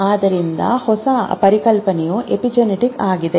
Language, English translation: Kannada, So the new concept is epigenetics